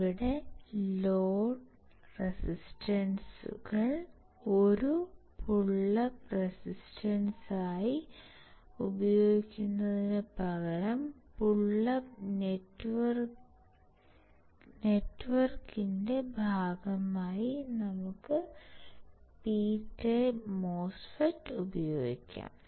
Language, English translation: Malayalam, Here, instead of using the load resistors as a pullup resistor, we can use P type MOSFET as a part of pullup network